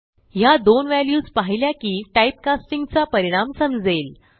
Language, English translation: Marathi, Looking at the two values we see the effects of typecasting